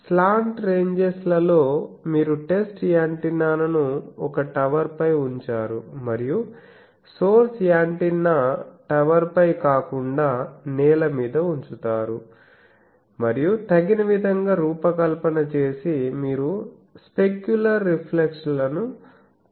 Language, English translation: Telugu, So, in slant ranges, you have the test antenna is put on a tower and source antenna is not on a tower it is on the ground it is put and by suitably designed also you remove the specular reflections